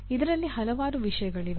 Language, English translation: Kannada, There are several things in this